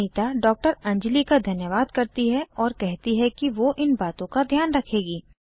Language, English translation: Hindi, Anita thanks Dr Anjali for her advice and says she will keep them in mind